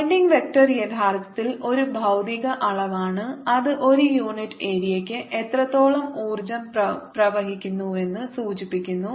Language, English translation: Malayalam, as you recall, pointing vector actually is a physical quantity which indicates how much energy per unit area is flowing